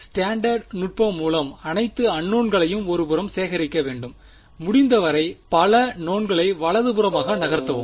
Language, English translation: Tamil, Standard technique gather all the unknowns on one side move as many knowns as possible to the right hand side right